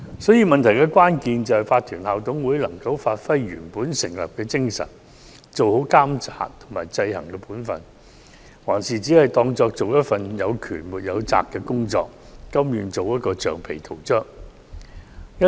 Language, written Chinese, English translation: Cantonese, 所以，關鍵問題是法團校董會能否發揮本來的作用，做好監察及制衡的本分，還是只視作從事有權沒有責的工作，甘願做橡皮圖章。, Therefore a crucial issue is whether IMCs can perform their original functions and properly perform their roles of monitoring and ensure checks and balances or they consider that they do not have powers or responsibilities and willingly act as rubber stamps